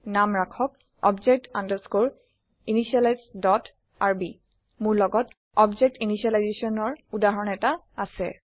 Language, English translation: Assamese, And name it object undescore initialize dot rb I have a working example of the object initialization code